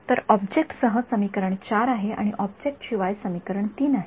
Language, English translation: Marathi, So, with object is equation 4 and without object is equation 3